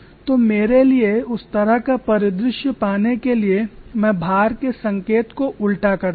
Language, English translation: Hindi, So to get that kind of a scenario, I reverse the sign of the load and equate this to the pressure